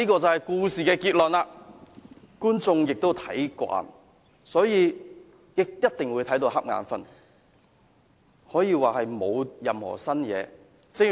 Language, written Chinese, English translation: Cantonese, 這就是故事的結論，觀眾也看慣，所以一定會打瞌睡，可以說沒有任何新意。, This would be the conclusion of the whole story and viewers have already got used to the boring and uncreative plots